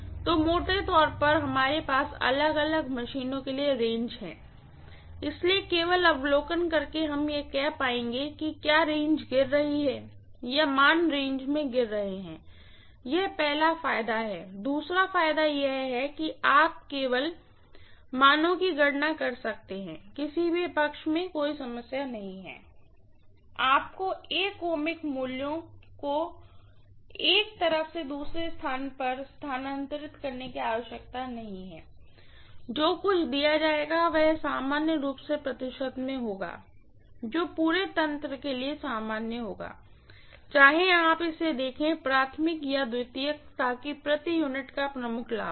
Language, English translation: Hindi, So roughly we have the ranges for different machines, so by just observing we would be able to say whether the ranges are falling or the values are falling within the range, that is the first advantage, second advantage is you can just calculate the values from either of the side, no problem, you do not have to transfer 1 ohmic values from one side to another, everything that will be given will be normally in percentage, which will be common for the entire apparatus, whether you look at it from the primary or secondary, so that is the major advantage of per unit, right